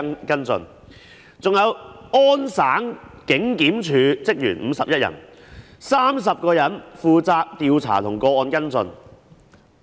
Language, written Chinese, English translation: Cantonese, 加拿大安大略省警檢署的職員共有51人 ，30 人負責調查和跟進個案。, The Office of the Independent Police Review Director of Ontario Canada has 51 staff members and 30 of them are in charge of case investigations and follow - ups